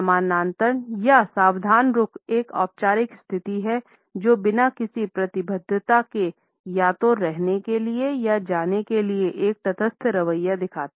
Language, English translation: Hindi, The parallel stance or at attention is a formal position which shows a neutral attitude without any commitment; either to stay or to go